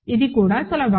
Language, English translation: Telugu, That is also easy